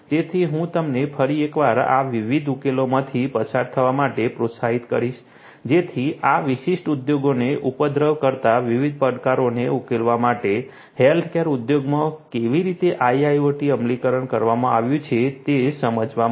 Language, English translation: Gujarati, So, I would encourage you once again to go through these different solutions to get an understanding about how IIoT implementation has been done in the healthcare industry to solve different challenges that plague this particular industry